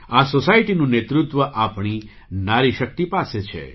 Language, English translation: Gujarati, This society is led by our woman power